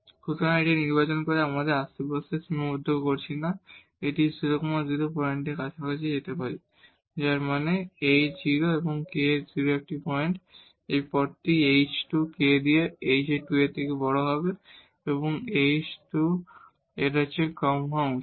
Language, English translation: Bengali, So, by choosing this, so we are not restricting our neighborhood, we can go as close as to this 0 0 point meaning h 0 and k 0 point having this path here h square this k should be greater than h square and less than 2 h square